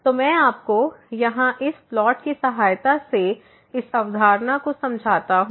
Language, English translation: Hindi, So, let me just explain you this concept with the help of this plot here